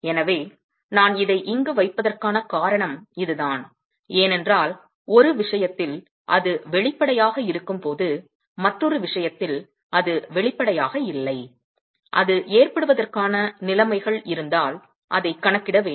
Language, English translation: Tamil, So, and that's the reason why I put this here because while in one case it is obvious, in the other case it's not obvious and it needs to be accounted for if conditions are available for it to occur